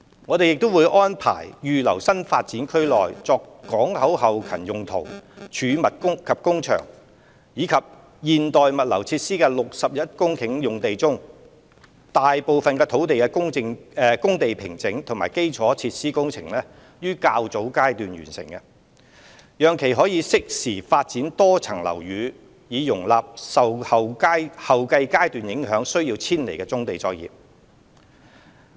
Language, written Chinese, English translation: Cantonese, 我們亦會安排預留新發展區內作港口後勤用途、貯物及工場和現代物流設施的61公頃用地，讓大部分工地平整及基礎設施工程於較早階段完成，以便適時發展多層樓宇，容納受後續階段影響需要遷離的棕地作業。, We will also incorporate in earlier phases the site formation and engineering infrastructure works for majority of the 61 hectares of land reserved for port back - up storage and workshop uses as well as modern logistics so that the MSBs can be developed in a timely manner to accommodate displaced brownfield operations in subsequent phases